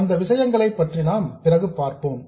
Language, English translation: Tamil, We will see what those things are later